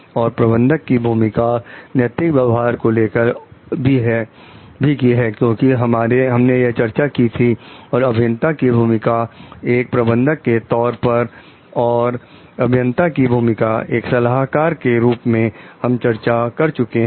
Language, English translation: Hindi, And role of managers for the ethical conducts so, because we have had that discussion and role of engineers as managers role of engineers as consultants